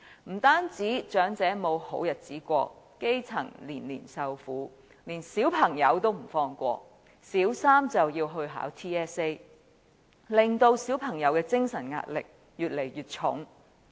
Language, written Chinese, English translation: Cantonese, 不單長者沒有好日子過，基層年年受苦，就連小朋友也不放過，小三就要考 TSA， 令小朋友的精神壓力越來越沉重。, Not only do elderly singletons live in hardships and the grass roots suffer year after year but children are not spared as Primary Three students are required to sit the Territory - wide System Assessment TSA . As a result they are facing increasing mental stress